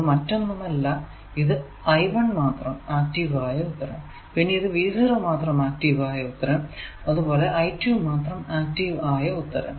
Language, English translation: Malayalam, so the first one is with only i one active and the second one is with only v two active and the third one is with only v three active